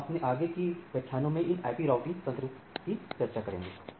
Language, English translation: Hindi, We will continue these routing IP routing mechanisms in our subsequent lectures